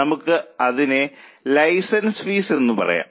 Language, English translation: Malayalam, Let us say license fee